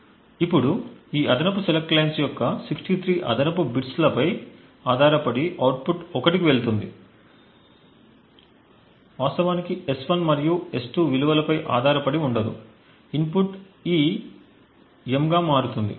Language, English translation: Telugu, Now depending on this particular 63 bits of additional select lines that gets added and when this output actually gets goes to 1 independent of the values of S1 and S2 the input E gets switched into M